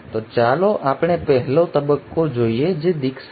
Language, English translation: Gujarati, So let us look at the first stage which is initiation